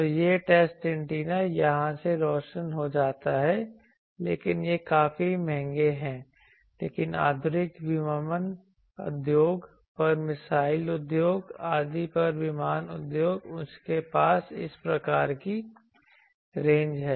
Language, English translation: Hindi, So, the test antenna gets illuminated here by this but these are quite costly, but modern this aviation industry then missile industry etc